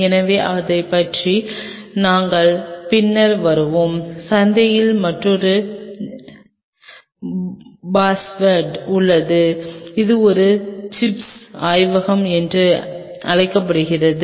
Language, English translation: Tamil, So, and we will be coming later about it the there is another buzzword in the market which is called lab on a chip